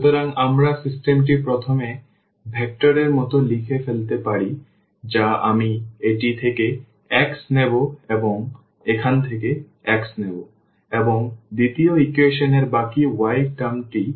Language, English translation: Bengali, So, we can also write down the system as like the first vector I will take x from this and also x from here and in the second equation the rest the y term